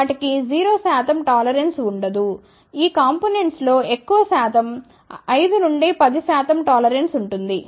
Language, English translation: Telugu, They do not have 0 percent tolerance majority of these components have 5 percent to 10 percent tolerance